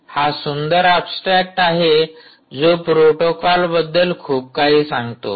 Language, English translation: Marathi, so its a beautiful abstract and speaks the all about the protocol itself